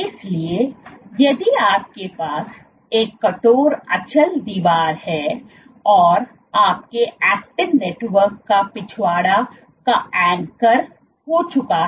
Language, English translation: Hindi, So, this if you have a rigid immovable wall and the backside of your actin network is anchored